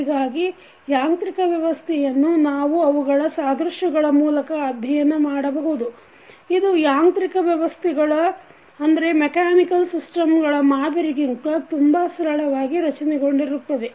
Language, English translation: Kannada, So, the mechanical system can be studied through their electrical analogous, which may be more easily structured constructed than the models of corresponding mechanical systems